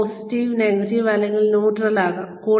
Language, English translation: Malayalam, This can be positive, negative, or neutral